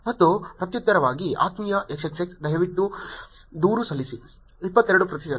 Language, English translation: Kannada, And as a reply Dear XXX, Please lodge a complaint – 22 percent